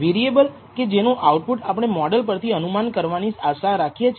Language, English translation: Gujarati, The variable whose output we desire to predict based on the model